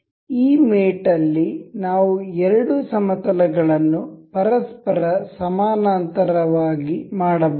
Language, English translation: Kannada, In this mate we can make two planes a parallel to each other